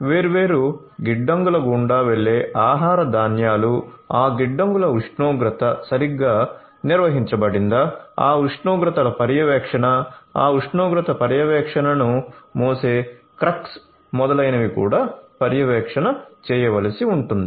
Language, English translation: Telugu, So, food grains going through different warehouses whether the temperature of the warehouses have been properly maintained, monitoring of those temperatures, the crux carrying those temperature monitoring etcetera, those will also have to be done